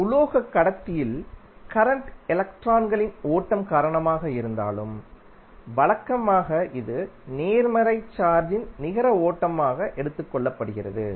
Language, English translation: Tamil, Although current in a metallic conductor is due to flow of electrons but conventionally it is taken as current as net flow of positive charge